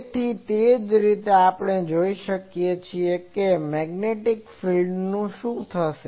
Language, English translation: Gujarati, So, similarly we can also see that what will happen to the Magnetic field